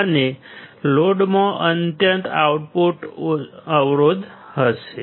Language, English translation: Gujarati, And the load will have extremely low output impedance